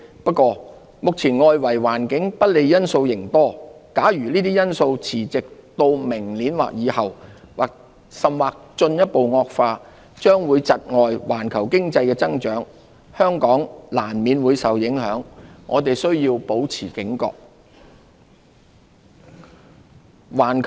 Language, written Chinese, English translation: Cantonese, 不過，目前外圍環境不利因素仍多，假如這些因素持續至明年或以後，甚或進一步惡化，將會窒礙環球經濟的增長，香港難免會受影響，我們須保持警覺。, However the external environment is still impeded by headwinds . If these headwinds persist in 2020 or beyond or even aggravate global economic growth will be hindered and Hong Kongs economy will in turn be affected . We have to stay vigilant